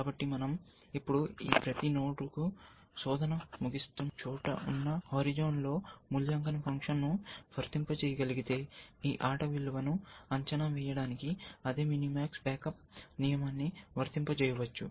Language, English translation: Telugu, So, if we can now apply the evaluation function to each of these nodes, on the horizon, which is wherever search ends; then we can apply the same minimax back up rule, to evaluate the value of this game